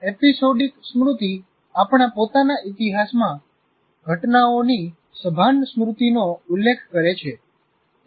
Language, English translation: Gujarati, Episodic memory refers to the conscious memory of events in our own history